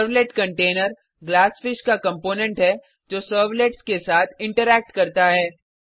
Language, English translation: Hindi, Servlet container is a component of Glassfish that interacts with servlets